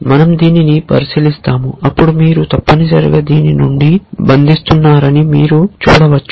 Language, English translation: Telugu, We will look at this then you can see that you are essentially chaining from this to this